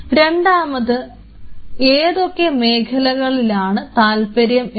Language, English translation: Malayalam, Second what are their different areas of interest